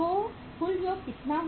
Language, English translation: Hindi, So how much it is total